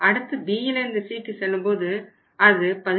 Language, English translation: Tamil, 6% and then is B to C, B to C is going to be 17